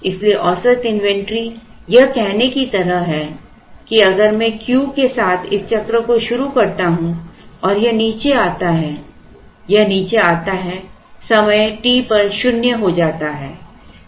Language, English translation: Hindi, So, average inventory is like saying if I start this cycle with Q then it comes down it comes down comes down to zero at time t